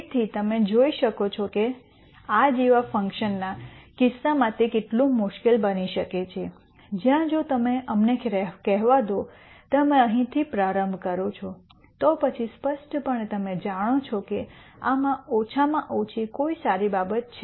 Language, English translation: Gujarati, So, you can see how hard it can become in case of functions like this, where if you if you let us say, you start from here, then clearly you know one of the good things to do would be to go to this minimum